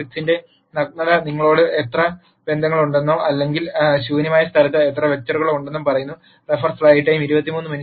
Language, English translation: Malayalam, The Nullity of the matrix tells you how many relationships are there or how many vectors are there in the null space